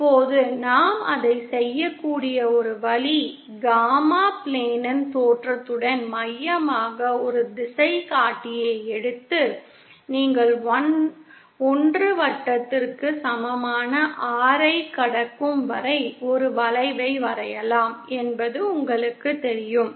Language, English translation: Tamil, Now one way we can do that is again you know you take a compass with the origin of the gamma plane as the center and draw an arc till you are crossing the R equal to 1 circle